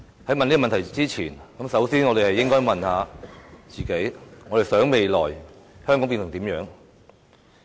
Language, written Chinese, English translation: Cantonese, 在問這問題之前，我們首先應該問問自己：我們想香港未來變成怎樣？, Before answering these questions we must first ask ourselves What kind of place do we want Hong Kong to become in the future?